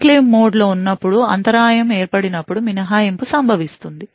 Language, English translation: Telugu, The exception occurs when there is interrupt that occurs when in enclave mode